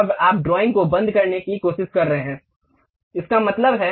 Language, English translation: Hindi, Now, you are trying to close the drawing, that means, do not save anything